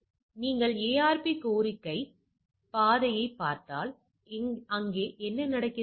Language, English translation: Tamil, So, if you look at the ARP request path, so what it is happening